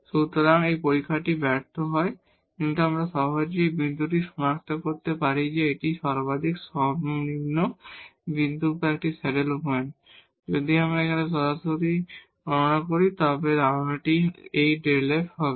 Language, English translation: Bengali, So, this test fails, but we can easily identify this point whether it is a point of maximum minimum or a saddle point, if we compute now directly the idea was this delta f